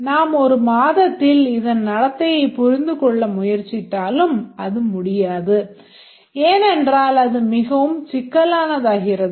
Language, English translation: Tamil, Even if you spend a month trying to understand the behavior it becomes very complex